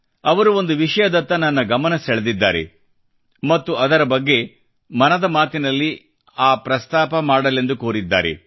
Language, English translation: Kannada, She has drawn my attention to a subject and urged me to mention it in 'Man kiBaat'